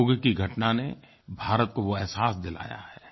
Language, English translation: Hindi, The Yoga incident was a similar reminder